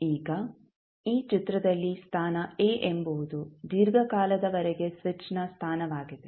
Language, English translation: Kannada, Now, in this figure position a is the position of the switch for a long time